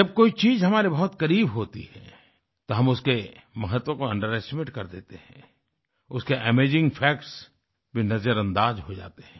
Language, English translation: Hindi, When something is in close proximity of us, we tend to underestimate its importance; we ignore even amazing facts about it